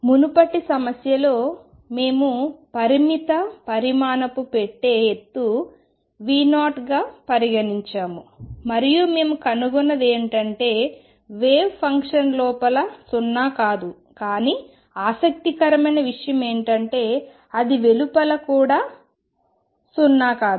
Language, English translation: Telugu, We had considered particle in a finite size box height being V 0 and what we found is that the wave function was non zero inside, but interestingly it also was non zero outside